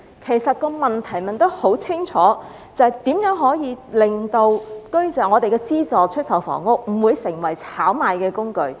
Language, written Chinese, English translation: Cantonese, 其實問題很清楚，便是如何令資助出售房屋不會成為炒賣的工具？, The question is actually very clear and that is how to prevent SSFs from becoming a tool for speculation